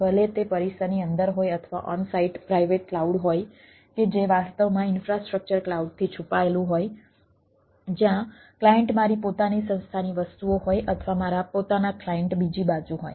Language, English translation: Gujarati, if it is within the premises or ah on site private cloud that actually infrastructure is hidden from the cloud where client is my own organization things or or my own clients are on the other side